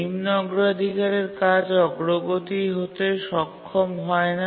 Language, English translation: Bengali, The low priority task again becomes low priority